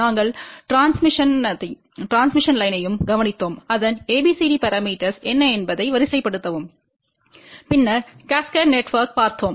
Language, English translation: Tamil, We also looked into the transmission line what are the abcd parameters of that and then we looked at the cascaded network